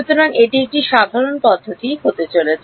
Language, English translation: Bengali, So, that is going to be a general procedure